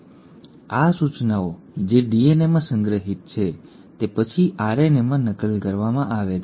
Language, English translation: Gujarati, Now these instructions which are stored in DNA are then copied into RNA